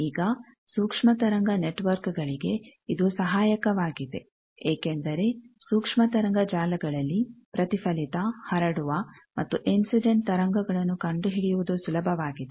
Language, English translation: Kannada, Now, for microwave networks this is helpful because in microwave networks you see that it is easier to find out the reflected transmitted and incident waves